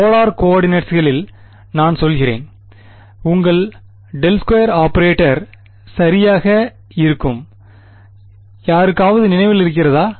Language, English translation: Tamil, So, I mean in polar coordinates, what will be right your del square operator does anyone remember right